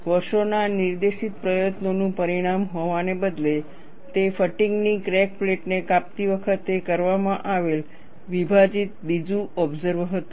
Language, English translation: Gujarati, Rather than being the result of years of directed effort, it was a split second observation made, while cutting up a fatigue cracked plate